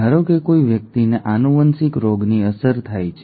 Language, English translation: Gujarati, Suppose a person is affected with a genetic disease